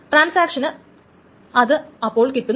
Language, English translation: Malayalam, So transaction 2 doesn't get it